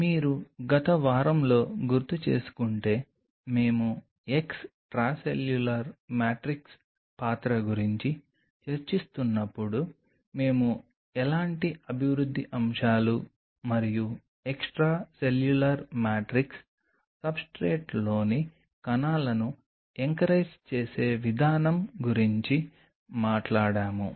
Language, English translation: Telugu, If you recollect in the last week, while we were discussing about the role of extracellular matrix we talked about the kind of developmental aspects and the way the extracellular matrix anchors the cells on the substrate